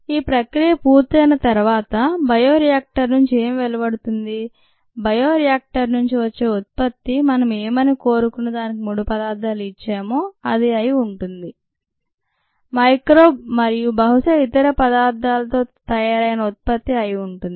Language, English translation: Telugu, after the process is done, what comes out of the bioreactor, what is harvested from the bioreactor, contains the product of interest, the micro organism and probably other material